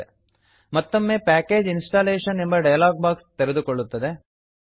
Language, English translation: Kannada, A Package Installation dialog box will open